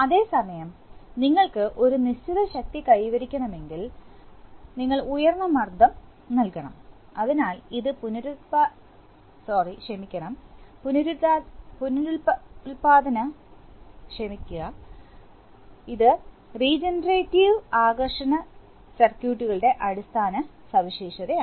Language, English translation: Malayalam, But at the same time if you want to achieve a certain force then we have to give higher pressure, so this is the basic feature of a, this regenerative attraction circuit